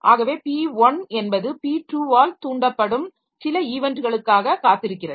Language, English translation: Tamil, So, P2 is, P2 is waiting for some event which will be triggered by P1